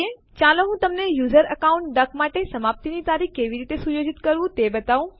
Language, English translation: Gujarati, Let me show you how to set a date of expiry for the user account duck